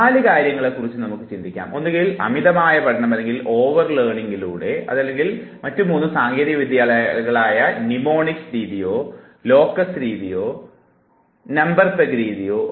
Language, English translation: Malayalam, Four options can be thought of, either you over learn or you use three other techniques; the method of mnemonics, the method of locus, and the number peg technique